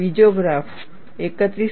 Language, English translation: Gujarati, The second graph is for 31